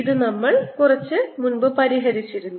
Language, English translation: Malayalam, this we have solve quite a bit